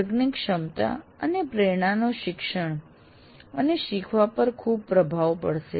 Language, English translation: Gujarati, So the ability and motivation profile of a class will have great influence on teaching and learning